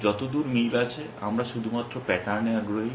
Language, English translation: Bengali, As far as matching is concerned, we are only interested in patterns